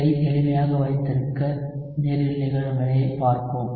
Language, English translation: Tamil, So to keep it simple, let us look at a reaction in water